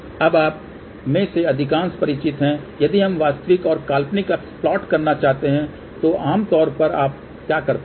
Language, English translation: Hindi, Now, most of you are familiar with let us say if we want to plot real and imaginary, generally what you do